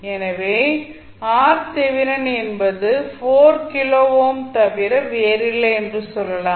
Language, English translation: Tamil, That is the value of 4 kilo ohm resistance